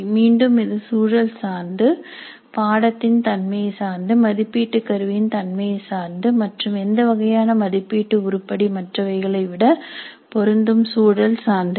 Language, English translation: Tamil, Again it depends upon the content, the nature of the course, the nature of the assessment instrument and the context and where something is more suitable than some other kind of assessment item